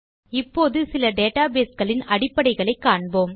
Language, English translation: Tamil, Let us now learn about some basics of databases